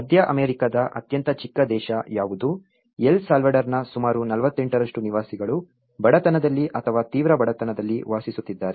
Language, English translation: Kannada, Which is the smallest country in the Central America so, it is about the 48% of inhabitants of El Salvador live in the poverty or in extreme poverty